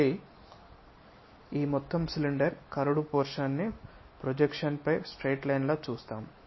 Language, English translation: Telugu, Again this entire cylinder curved portion we see it like a straight line on the projection this one turns out to be a line